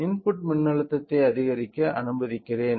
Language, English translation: Tamil, So, let me increase the input voltage